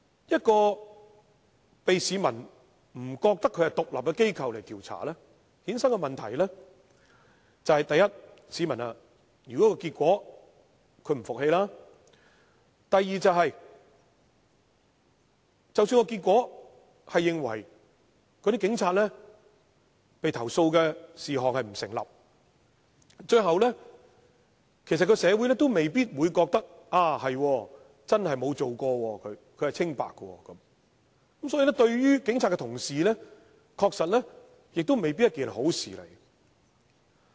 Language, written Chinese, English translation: Cantonese, 由市民認為不獨立的機構進行調查，衍生的問題是，第一，市民對調查結果並不信服；第二，即使調查結果認為對某名警察的投訴並不成立，最後社會亦未必認同該名警察真的沒有犯事，是清白的，所以對於警察來說，亦未必是好事。, Problems arising from investigations conducted by an organization regarded by members of the public as not independent are firstly the public will not be convinced by the investigation findings; and secondly even if the investigation concludes that the complaint against a certain police officer is not substantiated in the end the community may not agree that the police officer really did not commit any mistake and is innocent . Hence it may not be good to the Police